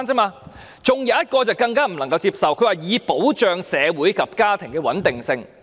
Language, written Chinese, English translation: Cantonese, 還有一項更不能接受的，她說"以保障社會及家庭的穩定性"。, Another part which I find even more unacceptable is to ensure social and family stability